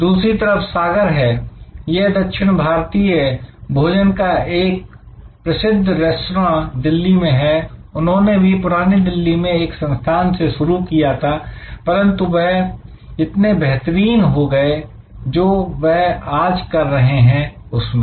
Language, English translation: Hindi, On the other hand there is Sagar, a very famous South Indian restaurant in Delhi, they started in a small establishment in South Delhi, but they become so good in what they were doing